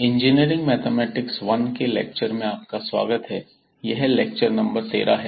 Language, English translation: Hindi, Welcome back to the lectures on Engineering Mathematics I, and this is lecture number 13